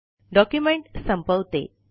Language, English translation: Marathi, Let me end the document